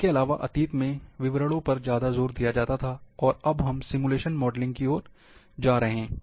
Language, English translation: Hindi, Also, in the past, the emphases was gone the description, now it is going toward simulation modelling